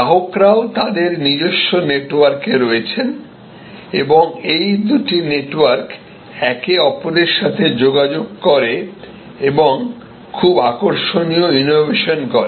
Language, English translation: Bengali, Consumers are also in their own network and these two networks interact with each other also our networks and very interesting innovations are derived